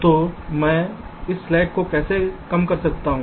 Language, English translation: Hindi, so how i can reduce this slack